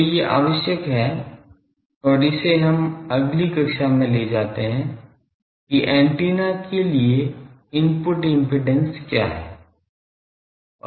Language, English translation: Hindi, So, these are required and this will take up in the next class that what is the input impedance of the antenna